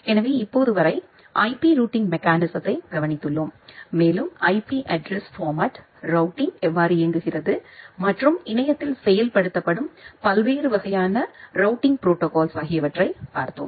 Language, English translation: Tamil, So, till now we have looked into the IP routing mechanism in details and we have looked into the IP addressing format, how routing works and different type of routing protocols which are implemented over the internet